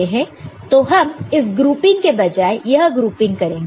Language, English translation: Hindi, So, basically instead of this grouping you are doing this grouping instead of this grouping you are doing this grouping, all right